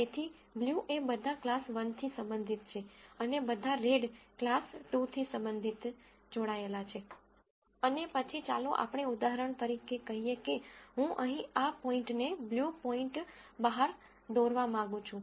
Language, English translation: Gujarati, So, the blue are all belonging to class 1 and the red is all belonging to class 2, and then let us say for example, I want to figure out this point here blue point